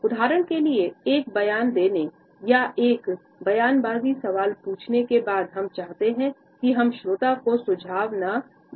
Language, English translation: Hindi, For example after making a statement or asking a rhetorical question is not that what we really want, we not to suggest the listener yes, it is